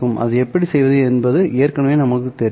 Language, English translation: Tamil, Well, we already know how to do that one